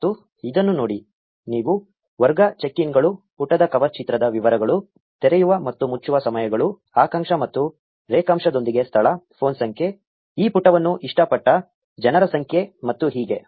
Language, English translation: Kannada, And look at this, you have category, check ins, details about the cover picture of the page, opening and closing hours, location with latitude and longitude, phone number, number of people who liked this page and so on